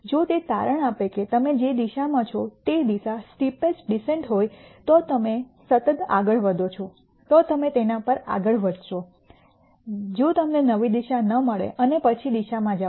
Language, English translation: Gujarati, If it turns out that the direction that you are on is continuing to be the steepest descent direction you continue to go on that direction, if not you find a new direction and then go in the direction